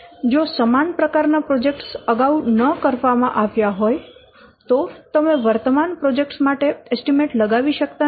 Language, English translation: Gujarati, If similar kinds of projects they have not been done earlier then this is then you cannot estimate for the current project